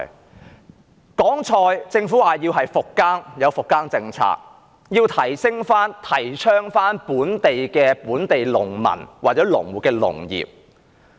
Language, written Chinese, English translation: Cantonese, 說到蔬菜，政府說要復耕，並制訂復耕政策，提倡振興本地農民或農戶的農業。, Regarding vegetables the Government has suggested farming rehabilitation and has formulated rehabilitation policy to promote agriculture that will revitalize local farmers